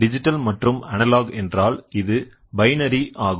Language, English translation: Tamil, Analog and digital, Digital means it is binary